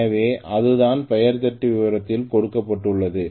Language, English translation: Tamil, So that is what is given on the name plate detail